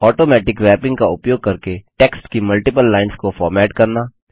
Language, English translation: Hindi, Formatting multiple lines of text using Automatic Wrapping